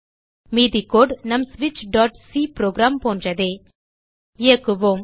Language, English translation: Tamil, Rest of the code is similar to our switch.c program Let us execute